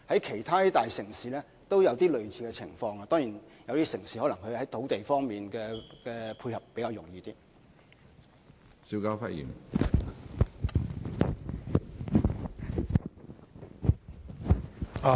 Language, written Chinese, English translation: Cantonese, 其他大城市也有類似情況，不過有些城市在土地方面的配合當然是較為容易。, A similar problem can also be found in other big cities but some of these cities are of course in a better position to provide land support in this regard